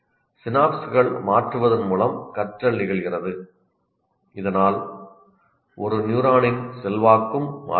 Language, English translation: Tamil, Learning occurs by changing the synapses so that the influence of one neuron on another also changes